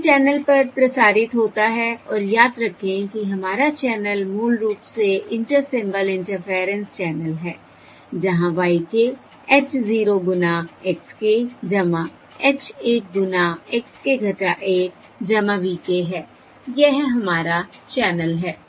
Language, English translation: Hindi, This is transmitted over the channel and remember, our channel is basically the inter symbol interference channel where YK equals H zero times X, K plus H one times XK minus one plus VK